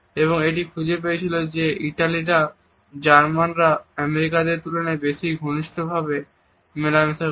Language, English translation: Bengali, And which had found that Italians interact more closely in comparison to either Germans or American